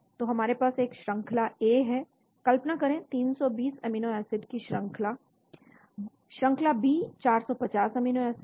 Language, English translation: Hindi, So we have a sequence A, say imagine 320 amino acids, sequence B 450 amino acids